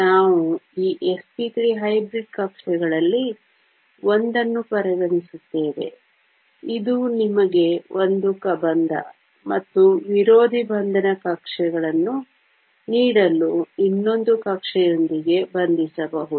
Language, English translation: Kannada, We will consider one of these s p 3 hybrid orbitals; this can bond with another orbital to give you a bonding and an anti bonding orbital